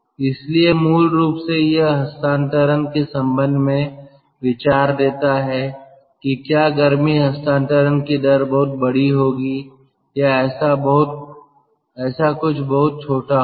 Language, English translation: Hindi, so basically it gives idea regarding the transfer, whether the rate of heat transfer will be very large or very small, something like that